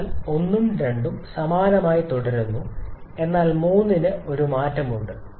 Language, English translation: Malayalam, So, 1 and 2 remains same but 3 there is a change